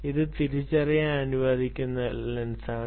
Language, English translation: Malayalam, so this is one type of lens